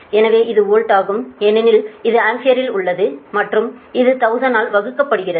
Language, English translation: Tamil, so thats why this is volt, because this is in ampere and this is divided by thousand